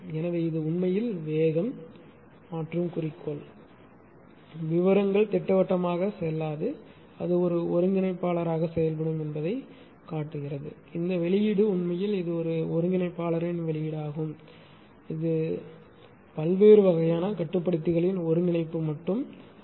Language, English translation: Tamil, So, this is actually speed changer moto right, details will not go the schematically will show it will act as an integrator right this output of u actually it is output of an integrator different type of controller not only integrator different type of controller